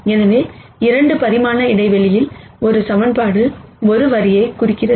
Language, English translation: Tamil, So, a single equation in a 2 dimensional space represents a line